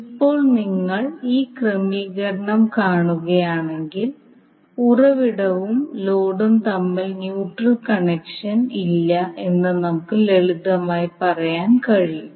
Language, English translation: Malayalam, Now if you see this particular arrangement, you can simply say that that we do not have neutral connection between the source as well as load